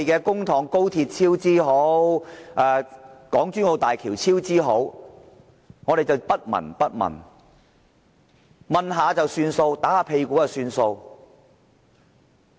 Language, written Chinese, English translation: Cantonese, 看着高鐵超支、港珠澳大橋超支，我們也不聞不問或隨便問問，拍拍屁股了事？, How could we ignore or just casually scrutinize the cost overruns of the high speed rail and the Hong Kong - Zhuhai - Macao Bridge?